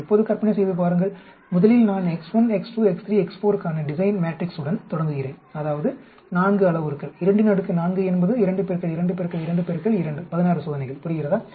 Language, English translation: Tamil, Now imagine first I start with the design matrix for x 1, x 2, x 3, x 4 that is 4 parameters 2 raise to the power 4 is 2 into 2 into 2 into 2 16 experiments, understand